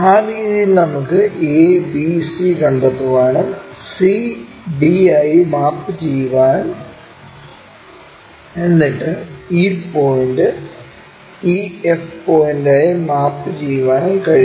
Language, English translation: Malayalam, In that way we can locate, point a, b, c map to c, d, then e point maps to e, and f point